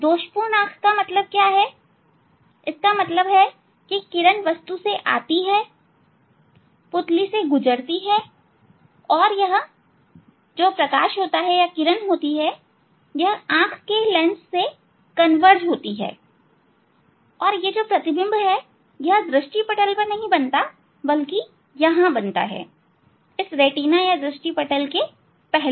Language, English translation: Hindi, Defective eye means, if it happens that this rays are coming from the object and passing through the pupil and this light converge through the lens eye lens and this image is not falling on the retina, it is the it is the, but they converge before that retina